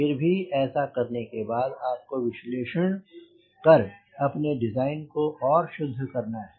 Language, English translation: Hindi, however, after doing this, you need to do analysis and refine the design right